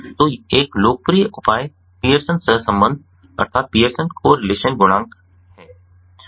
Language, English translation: Hindi, so a popular measure is the pearsons correlation coefficient and ah